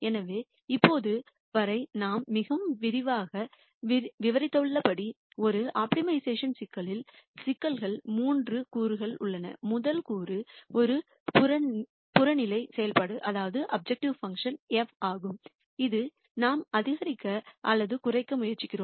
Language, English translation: Tamil, So, as we have described in quite detail till now, an optimization problem has three components the first component is an objective function f which we are trying to either maximize or minimize